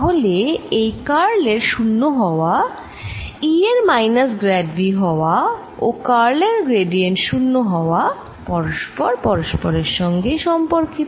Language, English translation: Bengali, so this curl of being zero, v being equal to minus, grad of v and gradient of curl being zero, they are all related with each other